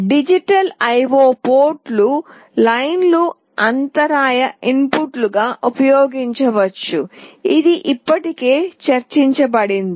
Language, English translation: Telugu, The digital I/O port lines can be used as interrupt inputs as well; this is already discussed